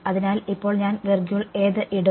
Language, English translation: Malayalam, So, now, which I will I put